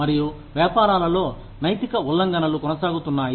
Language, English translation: Telugu, And, ethical violations continue to occur, in businesses